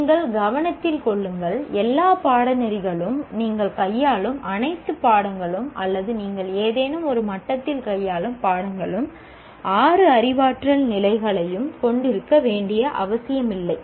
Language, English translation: Tamil, Mind you, all courses, all subjects that you are dealing with or at the level you are dealing with some subject, they need not have all the six cognitive levels applicable